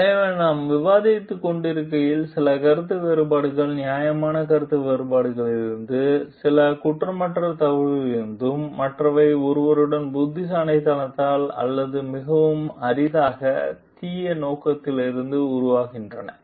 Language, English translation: Tamil, So, as we are discussing, some disagreements team from reasonable differences of opinion, some from innocent mistakes, others are due to someone s intelligence or more rarely, from evil intent